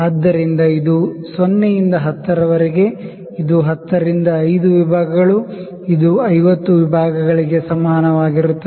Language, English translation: Kannada, So, this makes from 0 to 10, it is 10 into 5; it is equal to 50 divisions